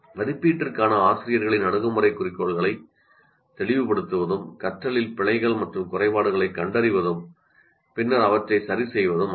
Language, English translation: Tamil, And the teacher's approach to assessment is to make goals clear to diagnose errors and omissions in learning and then correct these